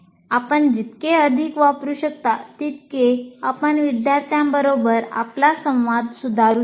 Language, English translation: Marathi, The more you can use, the more you can improve your interaction with the students